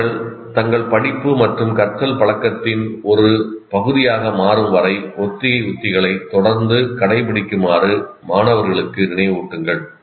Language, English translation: Tamil, Remind students to continuously practice rehearsal strategies until they become regular parts of their study and learning habits